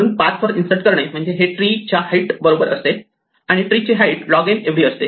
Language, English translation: Marathi, Therefore, insert walks up a path, the path is equal to the height of the tree, and the height of the tree is order of log n